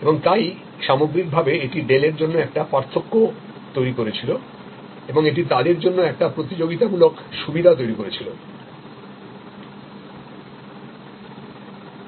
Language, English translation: Bengali, And therefore, on the whole it created a differentiation for Dell and it created a competitive advantage for them